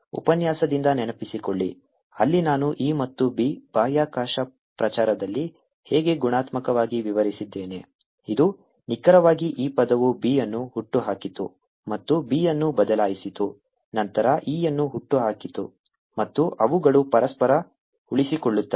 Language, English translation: Kannada, recall from the lecture where i qualitatively described how e and b sustain each other in propagating space, it was precisely this term that gave rise to b and changing b then gave rise to e and they sustain each other